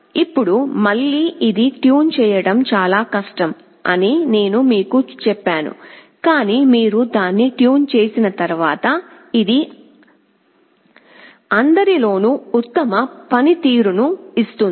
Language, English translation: Telugu, Now again, I told you that this is most difficult to tune, but once you have tuned it, this will give the best performance among all